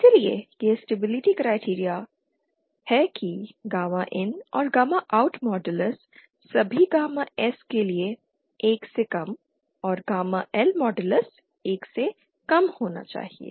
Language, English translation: Hindi, So this is the stability criteria that gamma in should and gamma out modulus should be lesser than 1 for all gamma S and gamma L modulus lesser than 1